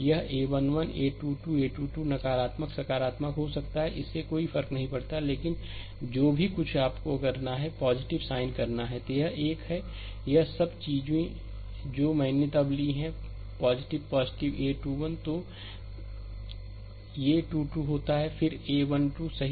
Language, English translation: Hindi, This a 1 1, a 2 2, a 3 3 may be negative positive, it does not matter, but whatever it is you have to take plus sign then this this one, that is all this things I have taken then plus your plus your a 2 1, then a 3 2 happen then a 1 3, right